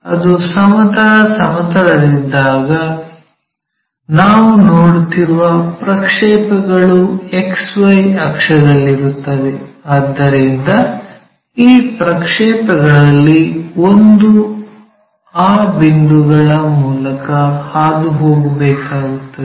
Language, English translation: Kannada, So, when it is in horizontal plane, the projections, if we are seeing that, it will be on XY axis, so one of these projections has to pass through that point